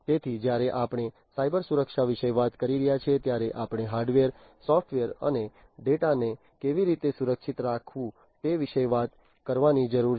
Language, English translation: Gujarati, So, when we are talking about Cybersecurity we need to talk about how to protect the hardware, how to protect the software and how to protect the data